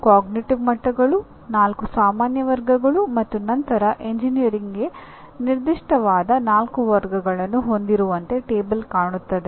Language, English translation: Kannada, The table looks like you have the same, 6 cognitive levels, 4 general categories here and then 4 category specific to engineering